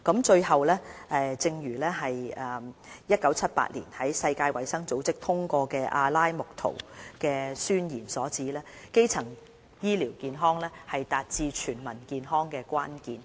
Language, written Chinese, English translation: Cantonese, 最後，正如1978年世界衞生組織通過的《阿拉木圖宣言》所指，基層醫療健康是達致"全民健康"的關鍵。, Finally the Declaration of Alma - Ata adopted by the World Health Organization in 1978 says primary health care is the key to the attainment of the goal of Health for All